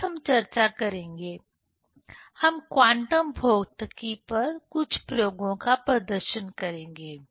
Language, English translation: Hindi, Next we will discuss, we will demonstrate few experiments on quantum physics